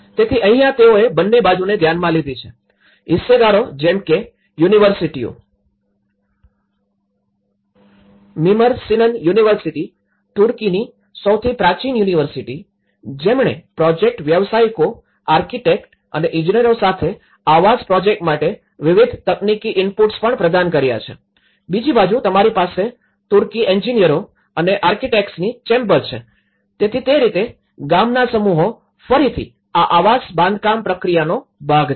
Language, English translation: Gujarati, So, here the this is also looked from both the ends and here, the stakeholders where the universities, the Mimar Sinan University, the oldest university in Turkey who also provided various technical inputs to the housing project also, the project professionals, architects and engineers and on other side you have the chamber of Turkish engineers and architects, so in that way, the village teams again they are part of this housing construction process